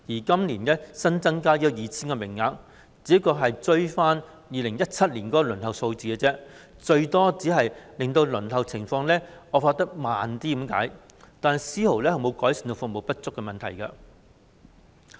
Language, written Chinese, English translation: Cantonese, 今年新增的 2,000 個名額，只是追回2017年的輪候數字，最多只能減慢輪候情況惡化，但絲毫未能改善服務不足的問題。, The increase of 2 000 places this year serves merely to recover the shortfall in 2017 . It can only slow down the deterioration of the waiting list but cannot rectify the problem of insufficient service at all